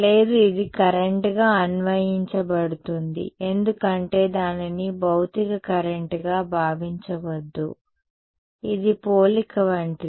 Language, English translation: Telugu, No, it is interpreted as a current because no do not think of it as a physical current it is not a it is like a the comparison is with